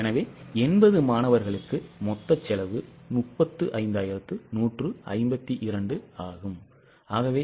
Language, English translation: Tamil, So, for 80 students, the fixed cost is 23 5 1 2